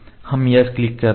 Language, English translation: Hindi, So, we click yes ok